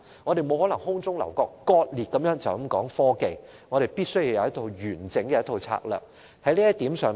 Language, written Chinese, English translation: Cantonese, 我們不能空中樓閣或割裂地只談科技，我們必須有一套完整的策略。, We must not merely talk about technology in an isolated manner as if it is a castle in the air; we must have a comprehensive set of strategies